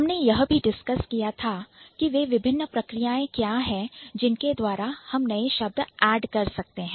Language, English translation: Hindi, So, then we have discussed what are the different processes by which we can add new words